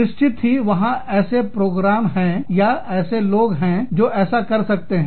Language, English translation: Hindi, Of course, there are programs, there are people, who can do that